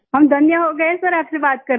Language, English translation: Hindi, We are blessed to talk to you sir